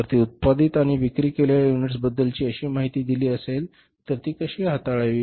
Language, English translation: Marathi, If that information is given about the units produced and sold, then how to treat that